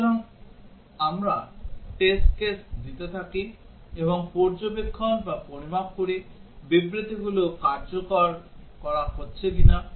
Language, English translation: Bengali, So, we keep on giving test cases, and observe, or measure, whether statements are getting executed